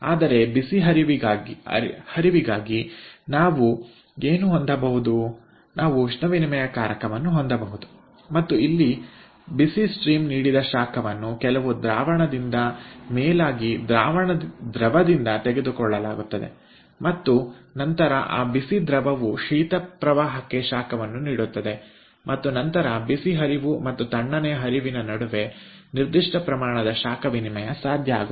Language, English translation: Kannada, but what we can have for the hot stream, we can have a heat exchanger and here the heat given by the hot stream will be picked up by some fluid, preferably by a liquid, and then that hot liquid will give heat to the cold stream and then certain amount of heat exchange is possible between the hot stream and the cold stream